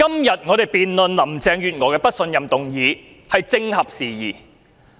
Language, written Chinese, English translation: Cantonese, 今天，我們辯論對林鄭月娥不信任的議案是正合時宜。, Today it is opportune to debate the motion of no confidence in Carrie LAM